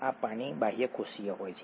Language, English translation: Gujarati, This is water maybe extracellular